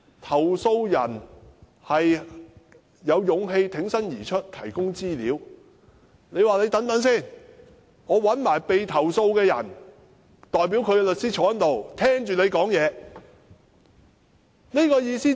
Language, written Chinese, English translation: Cantonese, 投訴人有勇氣挺身而出提供資料，但港鐵公司說等一等，要找被投訴的人的代表律師坐在這裏，聽投訴人說話。, The complainant was bold enough to come forward to provide information but MTRCL invited the lawyers of the party being complaint against to sit in and listen to the complainants exposition